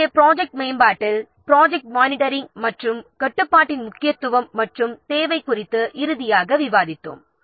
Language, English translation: Tamil, So, finally we have discussed the importance and the need of project monitoring and control in project development